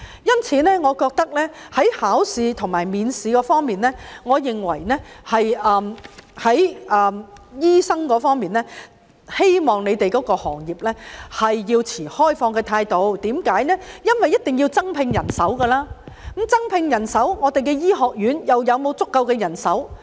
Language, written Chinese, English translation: Cantonese, 因此，在考試及面試方面，我希望醫生對自己的行業持開放態度，因為一定要增聘人手，但我們的醫學院又能否提供足夠人手？, Therefore as far as examinations and interviews are concerned I hope doctors will be more open - minded about their profession because recruitment of additional manpower is a must . That said can our medical schools provide sufficient manpower?